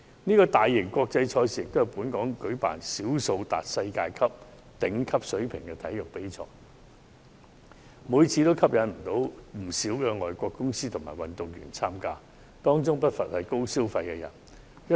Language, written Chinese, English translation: Cantonese, 這個大型國際賽事也是本港舉辦少數達世界頂級水平的體育賽事之一，每年吸引不少外國公司和運動員參加，當中不乏高消費人士。, As one of the few world - class sporting competitions being held in Hong Kong this major international event is an annual draw for many overseas companies and athletes with no lack of big spenders among them